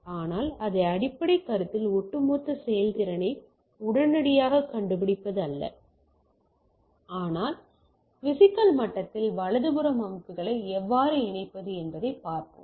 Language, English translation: Tamil, But our basic consideration is not that immediately finding the overall performance efficiency, but to look at that how to connect systems across right at the physical level right